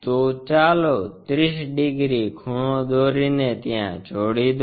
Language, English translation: Gujarati, So, let us construct the angle 30 degrees thing so join this